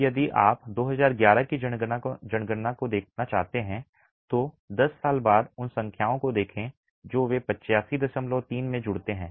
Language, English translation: Hindi, Now if you were to look at the 2011 census, 10 years later look at those numbers, they add up to 85